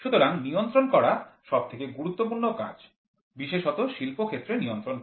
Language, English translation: Bengali, So, control function is most important function especially in the field of industrial control process